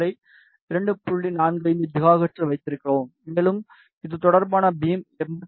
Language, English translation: Tamil, 45 gigahertz, and the beam with corresponding to this is 85